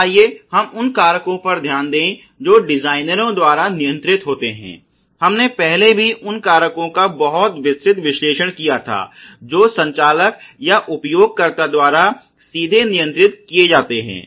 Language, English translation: Hindi, So, let us look at the factors which are controlled by designers we already did a very detailed analysis of the factors which are controlled by the operator or the user directly